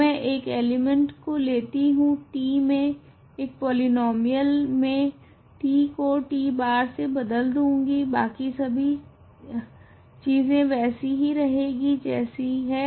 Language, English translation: Hindi, So, I will take an element, polynomial in t I will simply replace t by t bar, all the other things are left as they are